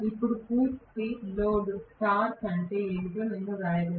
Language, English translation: Telugu, Now, I should be able to write what is the full load torque